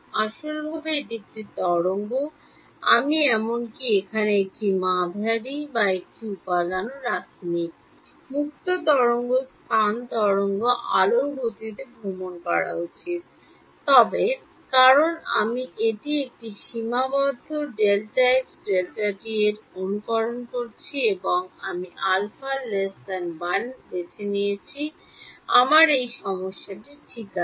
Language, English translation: Bengali, Physically its a wave, I have not even put a medium or a material here, free space wave should travel at speed of light, but; because I am simulating it on a finite delta x delta t and I chose alpha to be less than 1 I have this problem ok